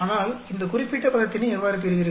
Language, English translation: Tamil, But, so how do you get this particular term